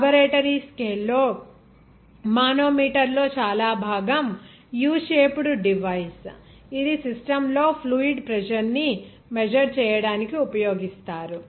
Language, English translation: Telugu, In laboratory scale even most of the manometer is a U shaped device that are used to measure fluid pressure there in the system